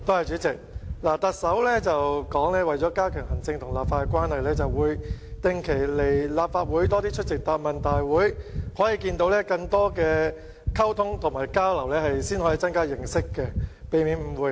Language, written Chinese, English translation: Cantonese, 主席，行政長官曾說，為加強行政與立法的關係，會定期來到立法會，並增加出席答問會的次數，進行更多溝通及交流，以增加認識，避免誤會。, President the Chief Executive says that she will come to the Council regularly and increase the number of question and answer sessions with a view to having more communications and exchanges increasing understanding and avoiding misunderstanding